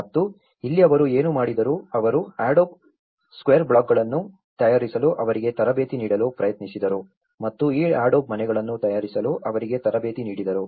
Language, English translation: Kannada, And here, what they did was they tried to train them making adobe square blocks and train them in making this adobe houses